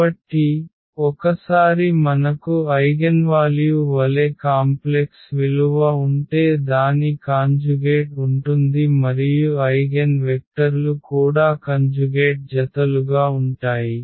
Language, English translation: Telugu, So, the once we have the complex value as the eigenvalue its conjugate will be there and not only that the eigenvectors will be also the conjugate pairs